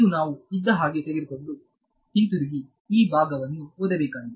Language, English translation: Kannada, So, this is just a fact that we will have to take it and go back and read this part